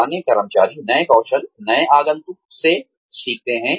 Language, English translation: Hindi, Older employees, learn new skills, from new entrants